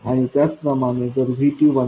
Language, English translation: Marathi, And similarly if VT is 1